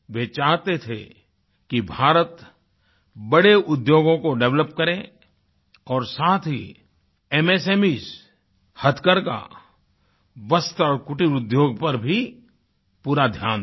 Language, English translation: Hindi, He had wanted India to develop heavy industries and also pay full attention to MSME, handloom, textiles and cottage industry